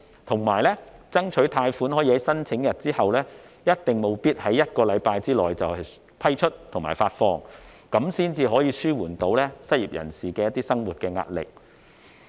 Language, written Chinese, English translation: Cantonese, 同時，政府應爭取貸款可以在申請日起計1星期內批出和發放，以紓緩失業人士的生活壓力。, At the same time the Government should strive for the loans to be approved and disbursed within one week from the date of application so as to alleviate livelihood pressure on the unemployed